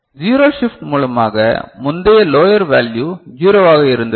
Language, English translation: Tamil, So, zero shift means earlier it was the lowest value was zero right